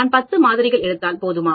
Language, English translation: Tamil, Is it enough if I take 10 samples